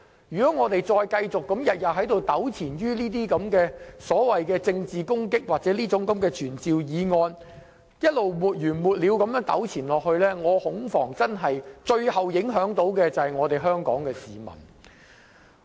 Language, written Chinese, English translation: Cantonese, 如果我們繼續每天糾纏於這些所謂政治攻擊或傳召議案，沒完沒了地糾纏下去，我恐防最後受影響的會是香港市民。, If we continue to pester her incessantly with political attacks or summoning motions I am afraid people of Hong Kong will suffer in the end